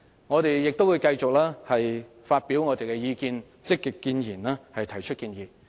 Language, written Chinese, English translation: Cantonese, 我們亦會繼續發表意見，積極建言，提出建議。, We will continue to express our opinions and actively put forward constructive views and make suggestions